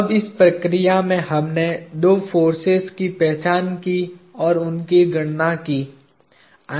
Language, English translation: Hindi, Now, in this process we identified or calculated two forces